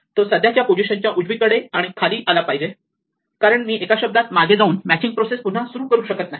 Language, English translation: Marathi, It must come to the right and below the current match because I cannot go backwards in a word and start the match again